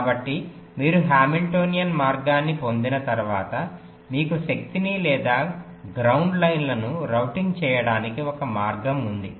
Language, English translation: Telugu, so once you get a hamiltionian path, you have one way of routing the power or the ground lines